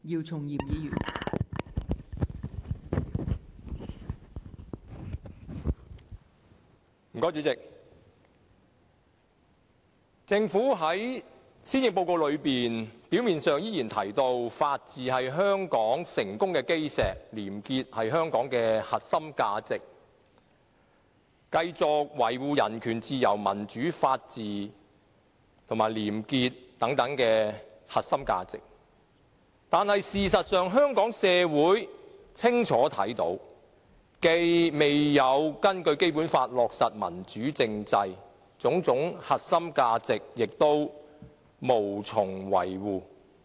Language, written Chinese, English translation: Cantonese, 代理主席，在施政報告中，政府表面上依然提到法治是香港成功的基石，廉潔是香港的核心價值，會繼續維護人權、自由、民主、法治和廉潔等核心價值，但事實上，香港社會清楚看到，政府既未有根據《基本法》落實民主政制，對種種核心價值亦無從維護。, Deputy President in the Policy Address the Government still mentions that the rule of law is the cornerstone of Hong Kongs success that a clean society is a core value of Hong Kong and that it will continue to uphold core values like human rights liberty democracy the rule of law and integrity . However this is merely what it said on the surface . In actuality the Hong Kong community has seen clearly that the Government has not implemented a democratic constitutional system according to the Basic Law and has failed to uphold various core values